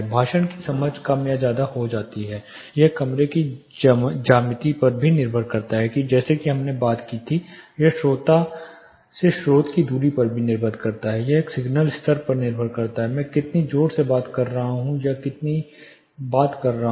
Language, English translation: Hindi, The speech becomes intelligible or less intelligible depends on the room geometry as we talked about, it depends on the source to listener distance, it depends on a signal level, how loud I am talking or how quite I am talking